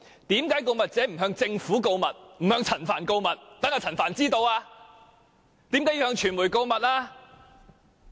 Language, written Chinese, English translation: Cantonese, 為何告密者不向政府和陳帆告密，而向傳媒告密呢？, How come the whistle - blower did not inform the Government and Frank CHAN but informed the media?